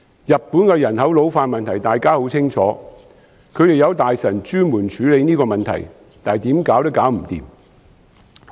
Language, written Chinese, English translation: Cantonese, 日本的人口老化問題大家很清楚，他們有大臣專門處理這個問題，但怎樣也解決不來。, The problem of population ageing in Japan is clear to all . Despite having a designated minister to deal with the issue there is no solution whatsoever